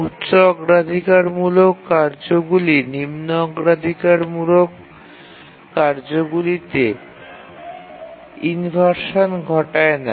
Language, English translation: Bengali, No, because these are of lower priority tasks and high priority tasks don't cause inversion to lower priority task